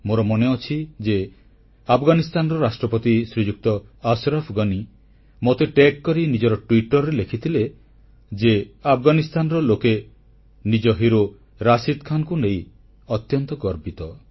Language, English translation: Odia, I remember Afghanistan President Shriman Ashraf Ghani's words on Twitter tagging me along "The people of Afghanistan are extremely, proud of our hero Rashid Khan